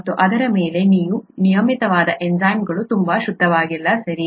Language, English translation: Kannada, And on top of that you have the regular enzymes not being very pure, okay